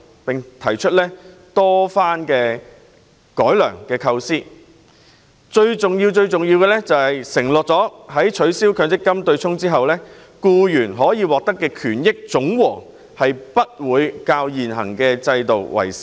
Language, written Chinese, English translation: Cantonese, 我們多番提出改良構思，最重要是要求政府承諾在取消強積金對沖機制後，僱員可獲得的權益總和不比現行制度少。, Time and again we have put forward improvement ideas and sought above all else an undertaking from the Government that the overall benefits to which employees would be entitled after the abolishment of the MPF offsetting mechanism should be no less than their original entitlement under the existing system